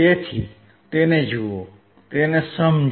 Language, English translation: Gujarati, So, look at it, understand it